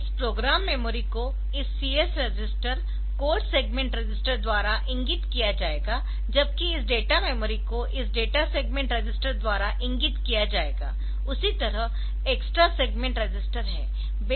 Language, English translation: Hindi, So, in the sense that this program memory will be pointed two by this CS register, the codes segment register; whereas, this data memory will be pointed two by this data segment register that extra segment register like that